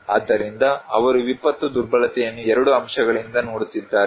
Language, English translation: Kannada, So, they are looking disaster vulnerability from 2 aspects